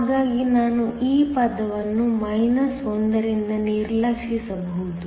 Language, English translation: Kannada, So that, I can ignore this term from 1 is here